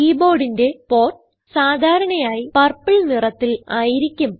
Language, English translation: Malayalam, The port for the keyboard is usually purple in colour